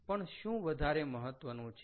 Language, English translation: Gujarati, so this is important